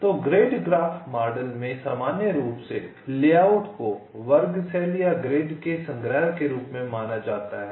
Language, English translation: Hindi, so in general in the grid graph model the layout is considered as a collection of square cells or grid